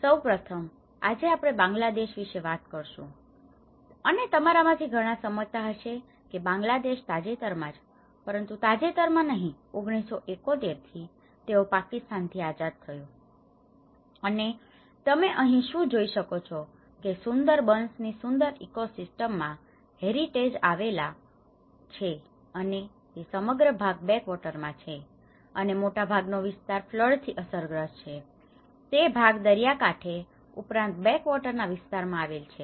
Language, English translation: Gujarati, First of all today, we are going to talk about the Bangladesh, and many of you understand that you know in Bangladesh has been recently, not recently but at least from 1971, they got the independence from Pakistan and what you can see here is a heritage laid in a very rich ecosystem of the Sundarbans, and this whole part is you have all these backwaters, and much of this area has been prone to the floods, and part of it is on to the coastal side and as well as the backwater areas